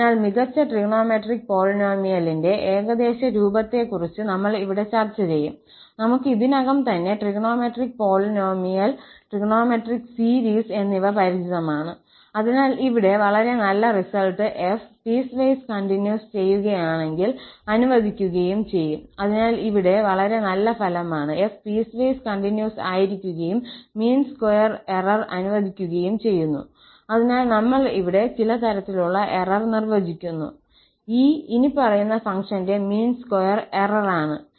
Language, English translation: Malayalam, So, I will just mention here the best trigonometric polynomial approximation, we are familiar with the trigonometric polynomial and trigonometric series already, so, here is a very nice result that if f is piecewise continuous and let the mean square error, so, we are defining some kind of error here which is mean square error with this following function E